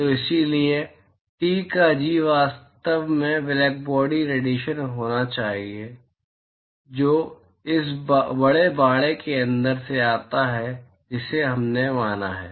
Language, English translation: Hindi, So, therefore, G of Ts should actually be the blackbody radiation which comes from the inside of this large enclosure that we have considered